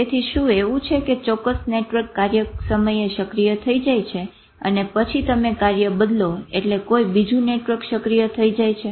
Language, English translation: Gujarati, So is it like that a certain network gets activated in a task and then you change the task, then some other network gets activated